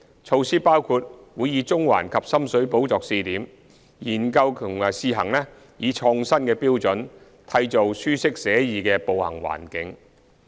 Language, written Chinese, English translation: Cantonese, 措施包括將會以中環及深水埗作試點，研究及試行以創新的方法，締造舒適寫意的步行環境。, The initiatives include studying and testing out innovative measures in Central and Sham Shui Po on a pilot basis for a comfortable walking environment